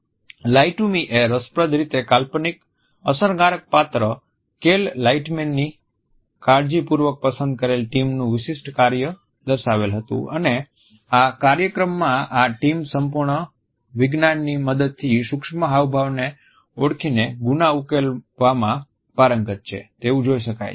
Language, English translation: Gujarati, Lie to Me interestingly had featured a handpicked team of an imaginary effective character Cal Lightman and in this show we find that this team has perfected the science of solving crime by deciphering micro expressions